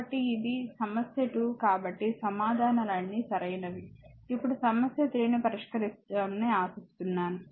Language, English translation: Telugu, So, your this is problem 2 so, answers are given hope these all answers are correct you will solve it, now problem 3